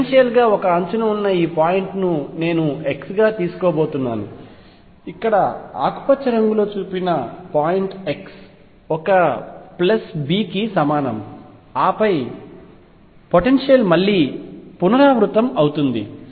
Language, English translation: Telugu, This point at one edge of the potentially I am going to take as x, the point here shown by green is x equals a plus b and then the potential repeat itself